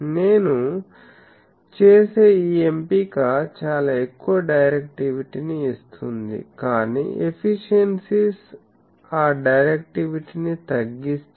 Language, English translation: Telugu, This choice if I make I will get very high directivity, but the efficiencies they will kill that directivity